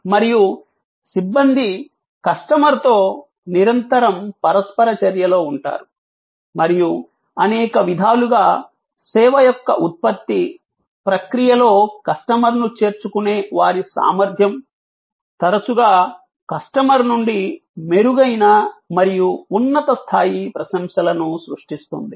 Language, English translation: Telugu, And the personnel are in constant interaction with the customer and in many ways, their ability to involve the customer in that production process of the service often creates a much better and higher level of appreciation from the customer